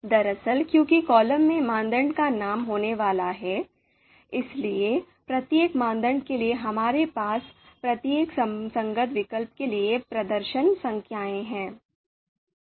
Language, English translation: Hindi, So actually what we want is you know because the columns are going to have the criteria name, so for each criteria we are having the performance numbers for each you know corresponding alternatives